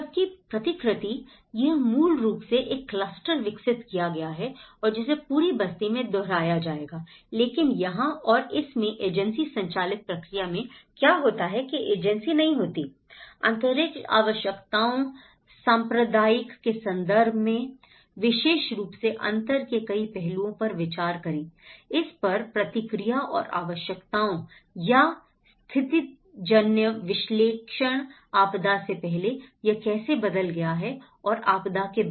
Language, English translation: Hindi, Whereas the replication, it is basically a cluster has been developed and that would be replicated in the whole settlement but here in this and this in the agency driven process what happens is you the agency will not consider a lot of differential aspects especially, in terms of space requirements, the communal response to it and the needs or the situational analysis, how it has changed before disaster and after disaster